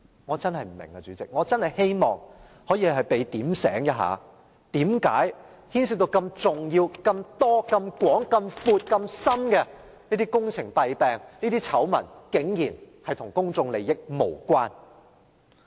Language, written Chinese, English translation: Cantonese, 我真的不明白，主席，我真的希望有人告訴我，為何事件牽涉如此重要、如此眾多、如此廣闊的工程弊病、醜聞，竟然與公眾利益無關。, I am truly puzzled . President I sincerely hope that someone may tell me why this incident which involves an extensive range of major problems and scandals on project works is surprisingly not related to public interests